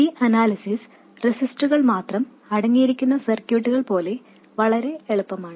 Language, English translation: Malayalam, This analysis is just as easy as of circuits containing only resistors